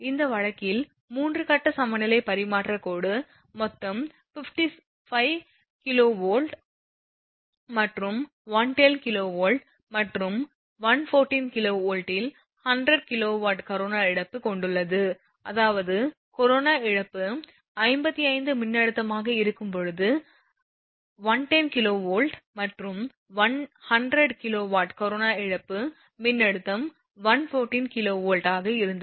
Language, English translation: Tamil, In this case that a 3 phase equilateral transmission line has a total corona loss of 50 or 55 kilowatt and 110 kV and 155 kilowatt at 110 kV and 100 kilowatt at 114 kV; that means, it is given that when corona loss is 55 voltage is 110 kV and when it is 100 kilowatt corona loss voltage at the time it was 114 kV